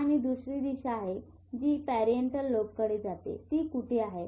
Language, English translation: Marathi, And there is another direction which goes to parietal lobe where is it located